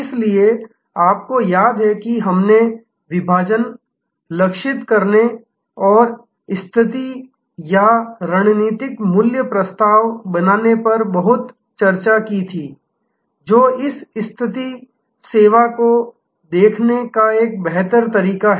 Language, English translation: Hindi, So, you remember we had lot of discussion on segmentation, targeting and positioning or creating the strategic value proposition, which is a better way to look at this positioning the service